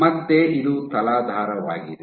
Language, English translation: Kannada, So, again this is your substrate